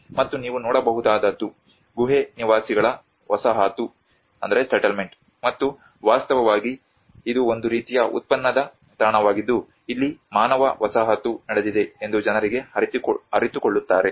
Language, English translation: Kannada, And what you could see is the cave dweller settlement, and in fact this was also a kind of excavation site where people realize that there has been a human settlement here